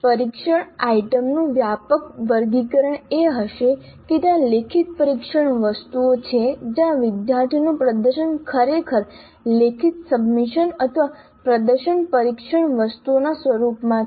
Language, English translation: Gujarati, The broad casick classification of the test items would be that there are written test items where the performance of the student is actually in the form of a written submission or performance test items